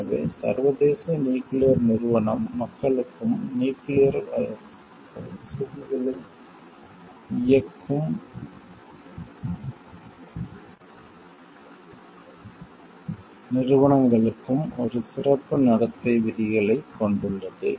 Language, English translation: Tamil, So, international atomic energy agency have a special code of behavior for the people, working in as well as for nuclear facility operating organizations